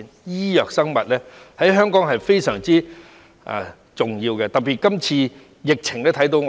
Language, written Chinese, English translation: Cantonese, 醫藥和生物發展在香港非常重要，在今次的疫情尤為顯著。, The development of biomedicine is really important in Hong Kong and this is particularly pronounced during the epidemic